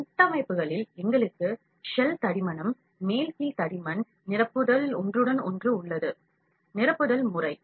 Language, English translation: Tamil, In structures, we have shell thickness, top bottom thickness, infill overlap, infill pattern